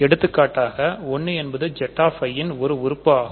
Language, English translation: Tamil, For example, 1 is an element of Z i minus 1